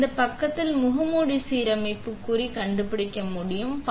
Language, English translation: Tamil, So, we are going to find the mask alignment mark on this side